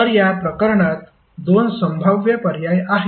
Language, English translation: Marathi, So in this case there are two possible options